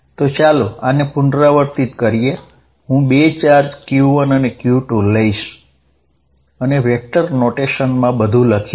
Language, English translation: Gujarati, So, let us repeat this I am going to take two charges q 1 and q 2 and write everything in vector notation